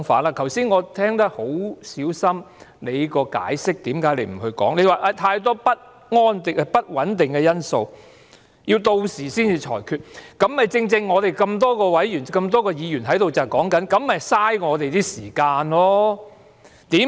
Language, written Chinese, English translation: Cantonese, 我剛才已小心聆聽你為何不作解釋，你說有太多不穩定因素，要到時才作裁決，這正正是我們多位議員在此說這樣做是浪費議會的時間。, This is your view . Just now I listened very carefully your reasons why you did not give any explanation . You said that there were too many uncertainties and you would make a ruling when the need arose